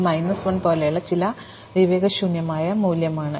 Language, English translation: Malayalam, So, it is some nonsensical value like minus 1